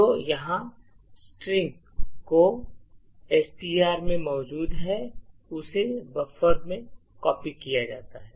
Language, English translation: Hindi, So, what is happening here is that is which is present in STR is copied into buffer